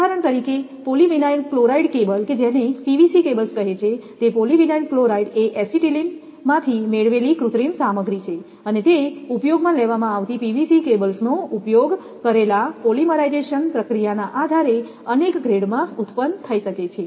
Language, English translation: Gujarati, For example, polyvinyl chloride cables that PVC cables they call polyvinyl chloride is a synthetic material obtained from acetylene and can be produced in a number of grades depending on the polymerization process used PVC cables also used